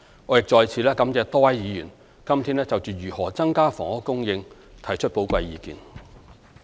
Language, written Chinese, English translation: Cantonese, 我亦再次感謝多位議員今天就如何增加房屋供應提出寶貴意見。, I would also like to express my thanks again to Members who have offered valuable views today on ways to increase housing supply